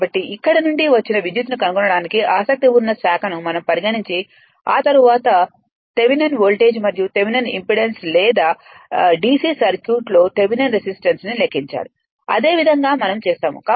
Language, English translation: Telugu, So, that here what you call the branch which are interested in to find the current that is taken out after that we computed Thevenin voltage and Thevenin impedance right or Thevenin for d c circuit Thevenin resistance right; same way we will do it